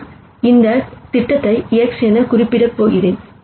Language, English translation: Tamil, I am going to represent that projection as X hat